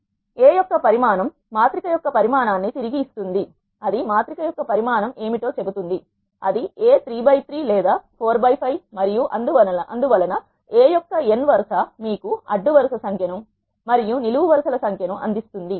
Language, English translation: Telugu, Dimension of A will return the size of the matrix that will say what is the size of the matrix that is it is a 3 by 3 or 4 by 5 and so on, n row of a will return you number of rows and n column of you will return you number of columns